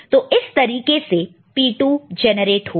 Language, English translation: Hindi, And how P 4 will be generated